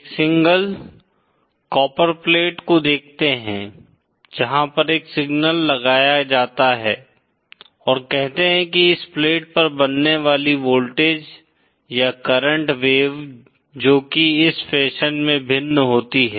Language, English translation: Hindi, Consider a single copperplate where a signal is applied and say the voltage or current wave that is formed on this plate varies in this fashion